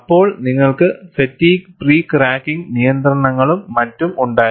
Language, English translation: Malayalam, Then, you had fatigue pre cracking restrictions, and so on and so forth